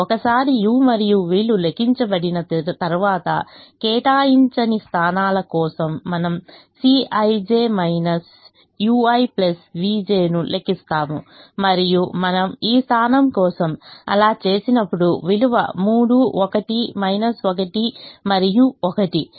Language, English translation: Telugu, once the u's and v's are computed, we also said that we will compute c i j minus u i plus v j for the unallocated positions and when we did that, for this position the value is three, one minus one and one